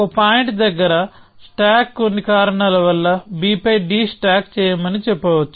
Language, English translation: Telugu, So, some point I might say stack for some reason that stack d onto b